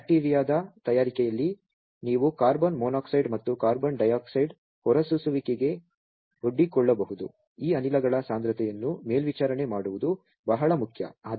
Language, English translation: Kannada, And also while in bacteria fabrication there you may be exposed to emissions of carbon monoxide and carbon dioxide at those place monitoring the concentration of these gases are very much important